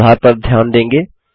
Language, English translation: Hindi, You will notice the correction